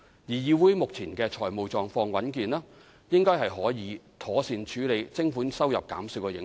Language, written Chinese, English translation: Cantonese, 議會目前的財務狀況穩健，應該可以妥善處理徵款收入減少的影響。, Given its healthy financial position CIC should be able to properly absorb the impact of the reduction in levy income